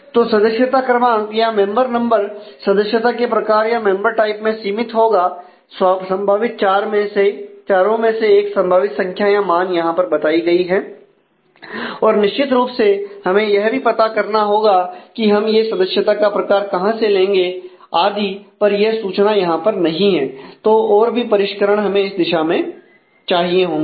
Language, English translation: Hindi, So, member number must determine the member type and the member type will be constrained in terms of possible 4, 1 of the four possible values are stated here now of course, we will still have to figure out is to where do we get this member type from and so, on and that information is not present here